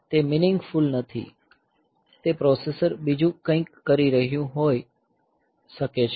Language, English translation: Gujarati, So, that is not meaningful, it may be the processor was doing something else